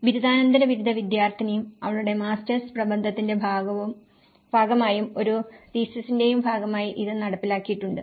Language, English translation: Malayalam, And this has been executed by the student, a postgraduate student and as a part of her master's dissertation and as well as a thesis